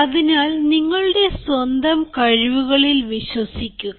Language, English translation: Malayalam, so believe in your own abilities